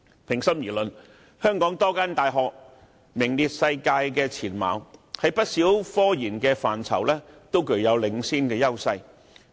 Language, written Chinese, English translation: Cantonese, 平心而論，香港多間大學都在不少科研範疇具領先優勢，位處世界前列。, To be fair many universities in Hong Kong are at the forefront of the world in a number of technological research areas